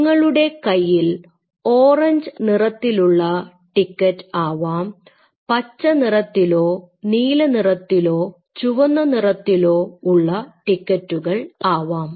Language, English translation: Malayalam, You may have a orange one you may have a green one, you may have a blue one, you have a red one